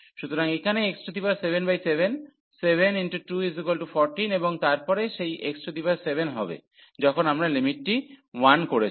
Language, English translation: Bengali, So, here x 7 by 7 so, 7 into 2 it is a 14 and then that x 7 when we put the limit that will become 1